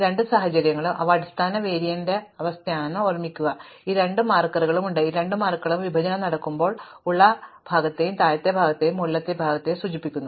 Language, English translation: Malayalam, In both cases remember that there is a basic invariant condition, there are these two markers and these two markers indicate the part which has already when partition, the limits of the lower and the upper part